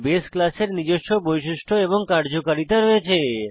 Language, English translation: Bengali, The base class has its own properties and functionality